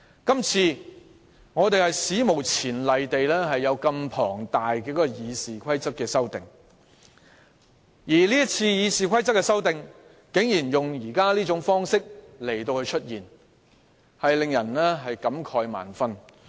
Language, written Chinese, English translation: Cantonese, 這次，議員史無前例地對《議事規則》提出大量修訂，而議員為修訂《議事規則》，竟然採用這種方式，出現這情況，真的教人感慨萬分。, On this occasion Members have made an unprecedented attempt to introduce a large number of amendments to RoP . And in a bid to amend RoP Members have gone so far as to adopt such an approach